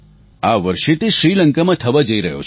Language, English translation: Gujarati, This year it will take place in Sri Lanka